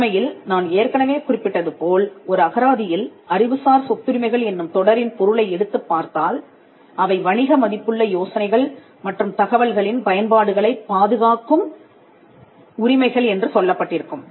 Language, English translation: Tamil, In fact, as I mentioned if you look a dictionary meaning intellectual property rights can be defined as rights that protect applications of ideas and information that are of commercial value